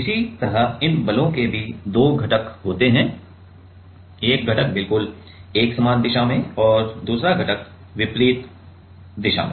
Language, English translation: Hindi, Similarly, these forces also have two components, one component in exactly same direction and another component in the opposite direction